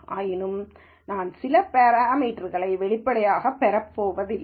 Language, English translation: Tamil, Nonetheless I am not going to explicitly get some parameters out